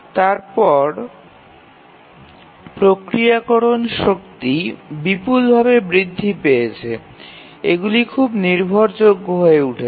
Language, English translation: Bengali, And then the processing power has tremendously increased and also these are become very very reliable